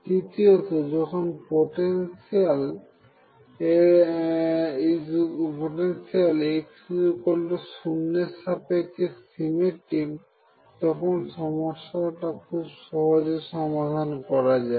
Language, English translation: Bengali, And third this is important if the potential is symmetric about x equals 0, one can reduce effort in solving the problem